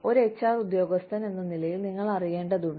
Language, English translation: Malayalam, As a HR personnel, you need to know